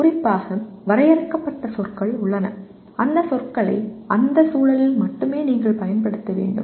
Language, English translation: Tamil, There are terms that are defined specifically and you have to use those terms only in that context